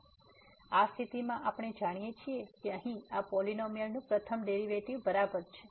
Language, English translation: Gujarati, So, having this condition first we know that the first derivative of this polynomial here is equal to